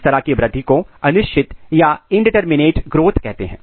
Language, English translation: Hindi, This kind of growth is called indeterminate growth